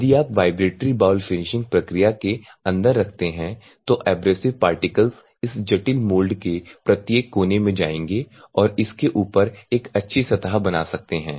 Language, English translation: Hindi, So, if you put inside the vibratory bowl finishing process, so the abrasive particles will goes to each and look on corner of this complex moulds and that can create a good surface on top of it